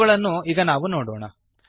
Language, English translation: Kannada, We shall now look at these